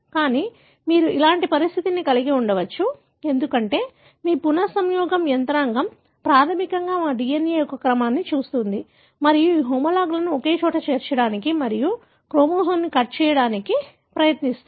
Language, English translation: Telugu, But, you could have a situation like this, because your recombination machinery basically looks at the sequence of our DNA and try to bring these homologues together and cut and join the chromosome